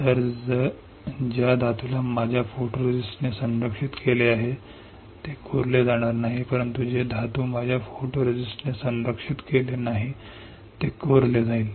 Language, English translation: Marathi, So, metal which is protected by my photoresist will not get etched, but metal which is not protected by my photoresist will get etched